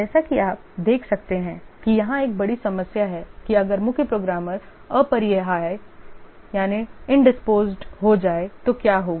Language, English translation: Hindi, As you can see that one of the major problem here is that what if the chief programmer becomes indisposed